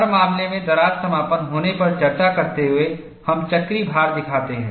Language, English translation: Hindi, In every case, discussing on crack closure, we show the cyclical loading